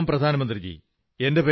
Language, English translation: Malayalam, "Pranam Pradhan Mantri ji, I am Dr